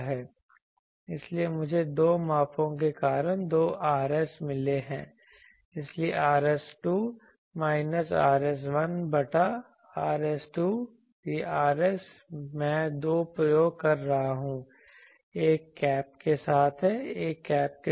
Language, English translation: Hindi, So, I have got two Rs because of two measurements so Rs2 minus Rs1 by Rs2, these Rs I am doing 2 experiments one is with cap without cap